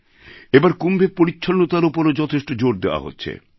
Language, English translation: Bengali, This time much emphasis is being laid on cleanliness during Kumbh